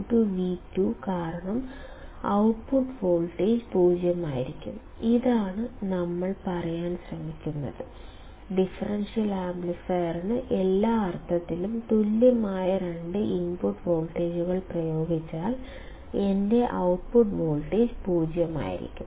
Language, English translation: Malayalam, Because V1 equals to V2, the output voltage will be 0; this is what we are trying to say, that if we apply two input voltages, which are equal in all respects to the differential amplifier then my output voltage must be 0